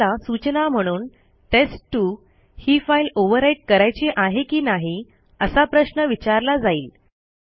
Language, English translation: Marathi, As you can see a warning is provided asking whether test2 should be overwritten or not